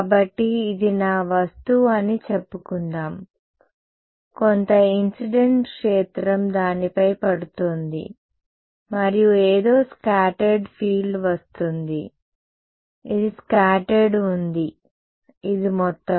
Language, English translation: Telugu, So, let us say this is my object right some incident field is falling on it, and something is getting scattered field this is scattered this is total